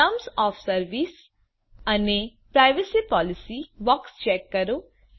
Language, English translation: Gujarati, Check the terms of service and privacy policy box